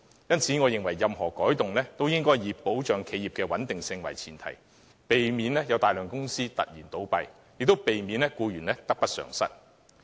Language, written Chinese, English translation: Cantonese, 因此，我認為任何改動均應以保持企業穩定為前提，避免導致大量公司倒閉，亦避免僱員得不償失。, For this reason I consider that any change must be premised on maintaining the stability of enterprises with a view to pre - empting the closure of a large number of companies and preventing employees from having their loss outweighed their gain